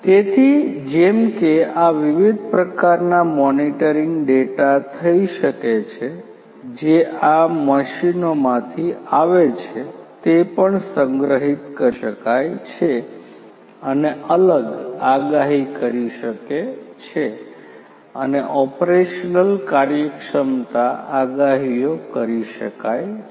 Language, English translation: Gujarati, So, like this different, different types of monitoring could be done the data the data that is coming from these machines these could also be stored and different predictive and operational efficiency could be the predictions can be made